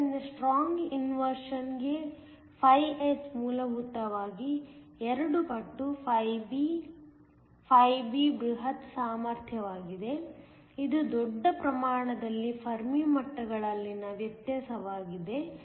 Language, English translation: Kannada, So, φs for strong inversion is essentially two times φb φb is the bulk potential which is the difference in the Fermi levels in the bulk